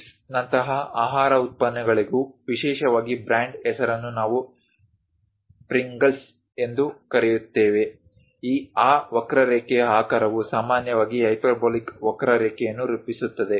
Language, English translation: Kannada, Even for products food products like chips, especially the brand name we call Pringles; the shape of that curve forms typically a hyperbolic curve